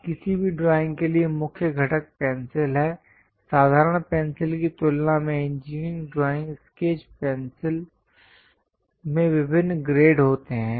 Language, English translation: Hindi, Now the key component for any drawing is pencil ; compared to the ordinary pencils, the engineering drawing sketch pencils consists of different grades